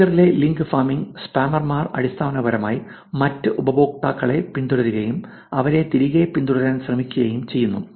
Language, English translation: Malayalam, And particularly link farming in Twitter is basically, spammers follow other users and attempt to get them to follow back also